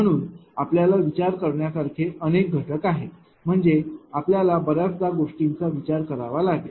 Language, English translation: Marathi, So, many factors you have to ah consider ah I mean you have to consider many things